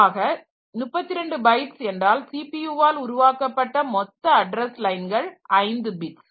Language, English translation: Tamil, 32 byte means total number of address lines generated by the CPU is 5 bit